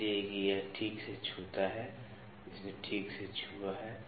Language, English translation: Hindi, So, that it touches properly it has touched properly